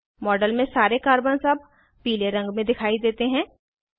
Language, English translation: Hindi, All the Carbons in the model, now appear yellow in colour